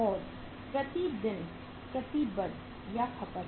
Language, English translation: Hindi, And committed or consumed per day